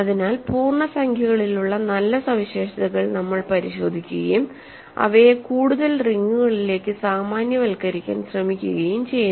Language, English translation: Malayalam, So, we look at the nice properties that integers have and try to generalize them to more rings ok